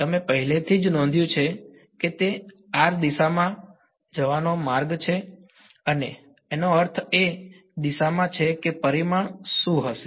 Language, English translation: Gujarati, You already noted that it's going to be in a direction in the r hat direction I mean in the r hat direction what will be the magnitude